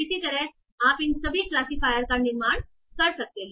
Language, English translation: Hindi, So similarly you can build all of these classifiers